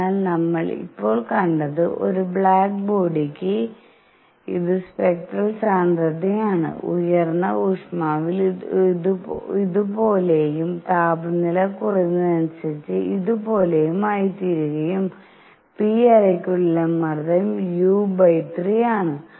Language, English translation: Malayalam, So, what we have seen now is that for a black body, this is spectral density which at high temperature is like this and as temperature level goes down; it becomes like this and pressure inside the cavity p is u by 3